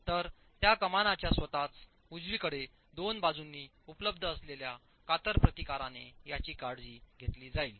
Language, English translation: Marathi, So that's going to be taken care of by shear resistance available in the two sides of the arch itself